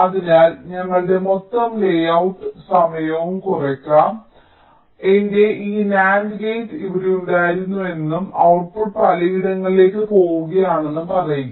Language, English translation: Malayalam, so there can be another reason like, say, lets look at my total layout, lets say my, this nand gate was here and the output was going to so many different place